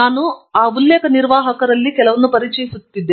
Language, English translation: Kannada, I will be introducing some of those reference managers